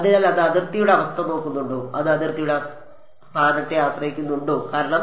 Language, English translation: Malayalam, So, does it look at the boundary condition does it depend on the location of the boundary why because